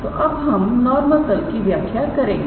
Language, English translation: Hindi, So, now, we will define the normal plane